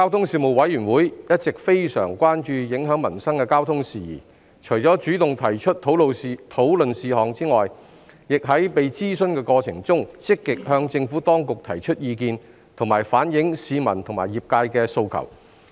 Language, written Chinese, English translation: Cantonese, 事務委員會一直非常關注影響民生的交通事宜，除主動提出討論事項外，亦在被諮詢的過程中，積極向政府當局提出意見，以及反映市民和業界的訴求。, The Panel was always very concerned about the transport issues that affected peoples livelihood . Apart from taking the initiative to propose issues for discussion the Panel actively expressed its views and conveyed the demands of the public and the relevant sectors when being consulted by the Administration